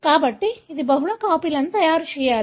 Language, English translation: Telugu, So, it has to make multiple copies